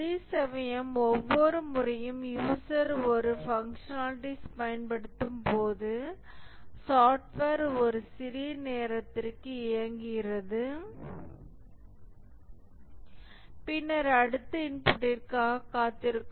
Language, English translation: Tamil, Whereas here the software each time the user invokes a functionality, the software runs for a small time and then keeps waiting for the next input